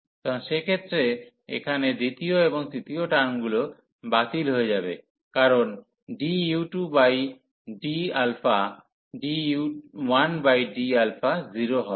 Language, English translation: Bengali, So, in that case the second and the third term here will be cancelled, because d u 2 over d alpha d 1 over d alpha will become 0